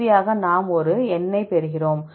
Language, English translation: Tamil, And finally, we get a number